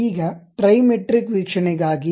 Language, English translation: Kannada, Now, for the Trimetric view